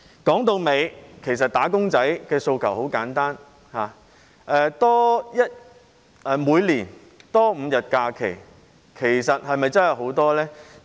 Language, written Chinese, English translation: Cantonese, 說到底，"打工仔"的訴求很簡單，每年多5天假期是否真的很多？, After all the demand of wage earners is very simple . Is it really too much to increase five additional holidays a year?